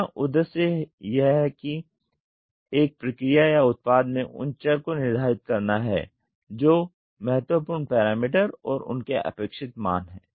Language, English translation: Hindi, The objective is to determine those variables in a process or product that forms critical parameter and their target values